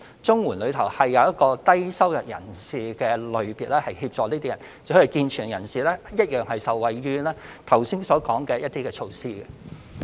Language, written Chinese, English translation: Cantonese, 綜援有一個"低收入人士"類別，可協助這類人士，而健全人士一樣可受惠於剛才提及的一些措施。, There is a low - income earners category under the CSSA Scheme and able - bodied persons can also benefit from some of the measures mentioned earlier